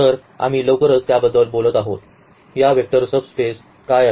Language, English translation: Marathi, So, we will be talking about that soon that what are these vector subspaces